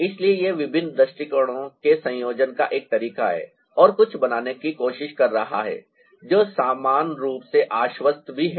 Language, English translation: Hindi, so this is one way of combining different view and ah trying to create something which is also equally convincing